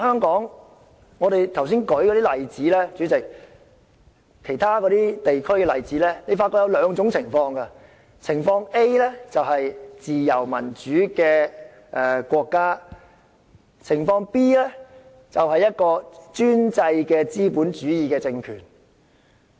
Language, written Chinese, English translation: Cantonese, 主席，其他議員剛才舉出其他地區為例子，我發覺當中有兩種類別：情況 A 是自由民主的國家，而情況 B 就是專制的資本主義政權。, President other Members have cited other places as examples which I found to fall into two categories case A is free and democratic countries and case B is autocratic capitalist regimes